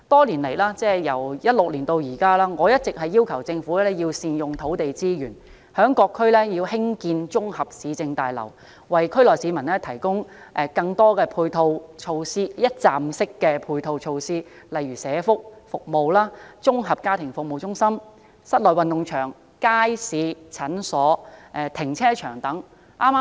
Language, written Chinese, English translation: Cantonese, 由2016年至今，我一直要求政府要善用土地資源，在各區興建綜合市政大樓，為區內市民提供更多一站式的配套措施，例如社區託管服務、綜合家庭服務中心、室內運動場、街市、診所、停車場等。, From 2016 onward I have requested the Government to make good use of land resources and build government complexes in various districts to provide more one - stop ancillary facilities such as child care services comprehensive family service centres indoor stadiums markets clinics and parking lots for people in the districts